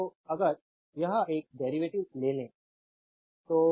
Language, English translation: Hindi, So, if you take the derivative of this one